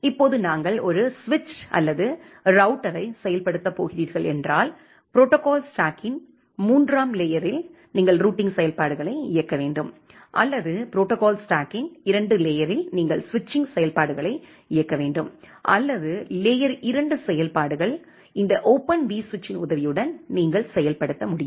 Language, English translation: Tamil, Now if we are going to implement a switch or a router then at the layer three of the protocol stack you need to run the routing functionalities, or at layer two of the protocol stack you have to run the switching functionalities, or layer two functionalities, so that you can implement with the help of this Open vSwitch